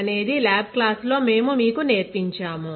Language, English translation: Telugu, So, this is what we have taught you in the lab class